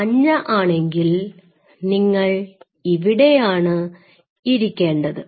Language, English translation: Malayalam, These are yellow should be sitting here